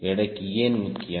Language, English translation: Tamil, why weight is important